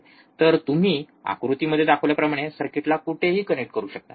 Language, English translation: Marathi, So, you can do it anywhere connect the circuit as shown in figure